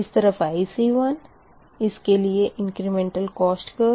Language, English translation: Hindi, this is: this is a ic one, incremental cost curve for this one